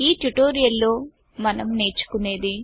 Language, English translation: Telugu, In this tutorial we learn the following